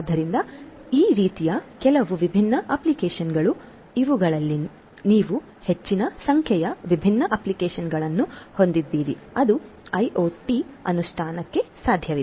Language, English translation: Kannada, So, these are the some of these different applications like wise you have you know large number of different applications that are possible for IoT implementation